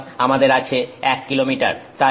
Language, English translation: Bengali, So, we have 1 kilometer